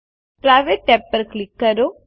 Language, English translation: Gujarati, Click the Private tab